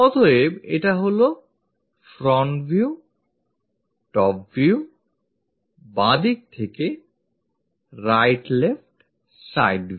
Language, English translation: Bengali, So, this is front view, top view, left to right left side view